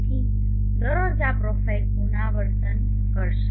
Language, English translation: Gujarati, So every day this profile will repeat